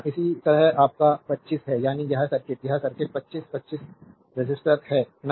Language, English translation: Hindi, Similarly, your 25 ohm that is this circuit, this circuit 25 ohm resistor, right